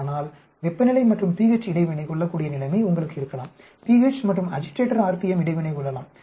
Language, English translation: Tamil, But you can have situation where temperature and pH may be interacting, pH and agitator RPM may be interacting